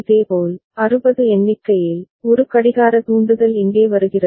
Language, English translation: Tamil, Similarly, for count of 60, one clock trigger comes over here